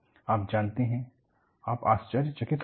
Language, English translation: Hindi, You know, you will be surprised